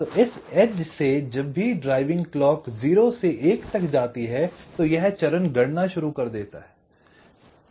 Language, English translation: Hindi, so from this edge, whenever drive clock goes from zero to one, this stage the starts calculating